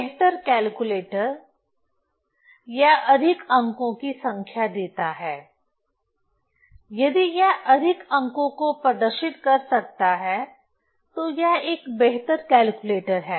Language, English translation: Hindi, So, better calculator if it gives more number of digit if it can display more number of digits so it is a better calculator